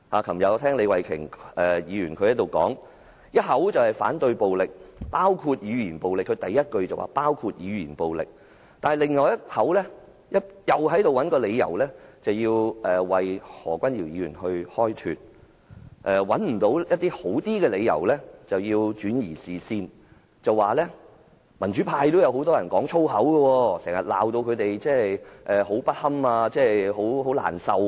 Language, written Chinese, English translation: Cantonese, 昨天李慧琼議員在此發言時，一方面表示反對暴力，第一句便說明是包括語言暴力，但另一方面卻又要找理由為何君堯議員開脫，當無法找到較好的理由時便轉移視線，指很多民主派人士也經常粗言穢語辱罵他們，令她們感到很難堪和難受。, When Ms Starry LEE spoke here yesterday she stated on one hand that she opposed violence saying in her first sentence that it included verbal violence but on the other hand she had to find excuse to exculpate Dr Junius HO . She switched the focus when she was unable to find a better reason by indicating that many pro - democrats often scolded them with abrasive foul languages thus making them feel very embarrassed and uncomfortable